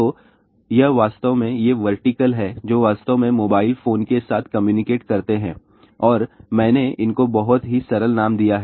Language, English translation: Hindi, So, it actually these vertical one which actually communicate with the mobile phone and I have given a very simple name to these